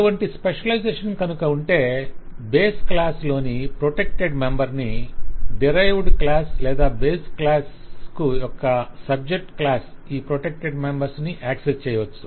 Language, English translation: Telugu, If such specialization exists, then for a protected member in the base class, the derived class or the class that specializes the base class can access this protected members, But other classes cannot access the protected members